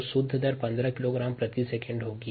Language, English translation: Hindi, so the net rate happens to be fifteen kilogram per second